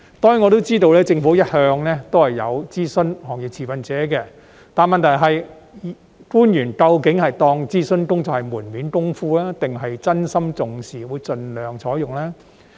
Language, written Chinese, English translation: Cantonese, 當然，我知道政府一向有諮詢行業持份者，但問題是官員究竟把諮詢工作當成門面工夫，還是真心重視諮詢結果，會盡量採用呢？, Certainly I know it has been the practice of the Government to consult industry stakeholders; yet the problem is whether the officials will take consultation work as window dressing or genuinely attach importance to consultation results and adopt them as far as possible?